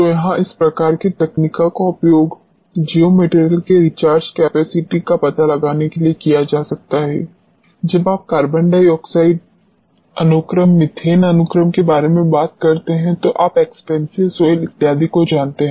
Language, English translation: Hindi, So, this is where these type of techniques can be utilized for finding out the recharge capacity of the geo materials, when you talk about carbon dioxide sequestration, methane sequestration and you know expansive soils and so on